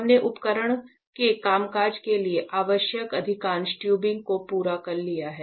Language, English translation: Hindi, So, as you can see we have completed most of the tubing required for the functioning of this instrument